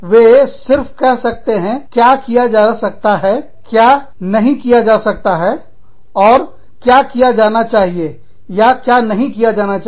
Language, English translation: Hindi, They can only say, what can and cannot be done, and should and should not be done